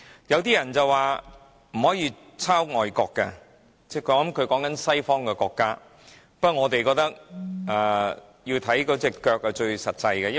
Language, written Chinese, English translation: Cantonese, 有些人說不可以抄襲外國的的做法，不過，我們認為看行動便最實際。, Some people said that we should not copy the practice of foreign countries . But action speaks louder than words